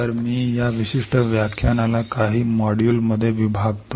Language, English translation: Marathi, So, I will divide this particular lecture into few modules